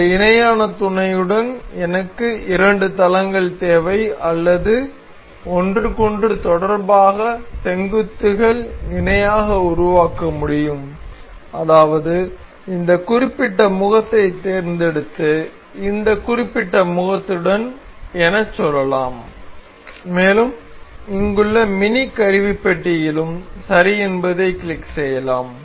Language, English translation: Tamil, With parallel mate I need two planes or vertex can be made parallel in relation to each other such as we will select this particular face and say this particular face and we will click we can click ok in the mini toolbar here as well